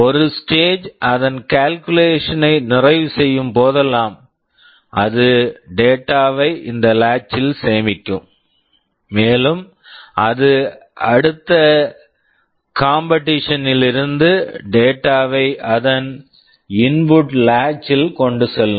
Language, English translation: Tamil, Whenever a stage completes its calculation, it will store the data into this latch, and it will take the data from the next competition into its input latch